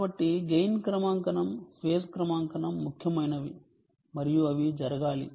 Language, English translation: Telugu, so gain calibration, phase calibration are important and they have to be done